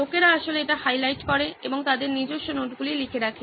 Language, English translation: Bengali, People actually highlight it and write their own notes